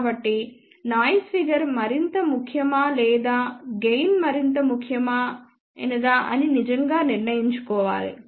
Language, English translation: Telugu, So, one has to really decide whether noise figure is more important or whether gain is more important